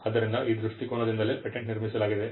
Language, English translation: Kannada, So, it is from that perspective that the patent is constructed